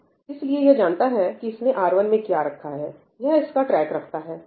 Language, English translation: Hindi, So, it knows what have I kept in R1, it has kept track